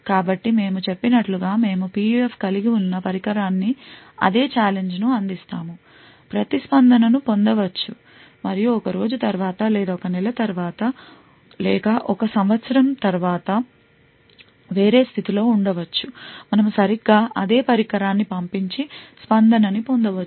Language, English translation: Telugu, So, as we mentioned, we provide the same challenge to the device which is having the PUF, obtain the response and in a different condition maybe after a day or after a month or after a year, we send exactly the same device and obtain the response